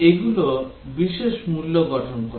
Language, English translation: Bengali, Those form the special values